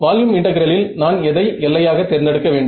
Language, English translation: Tamil, So, in volume integral, what would be the boundary that I have to choose